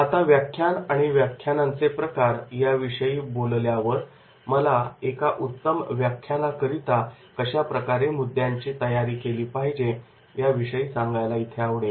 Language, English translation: Marathi, Now, after the delivery of these lectures and types of the lectures, now I will also like specially mention that is the how to prepare the content for a good lecture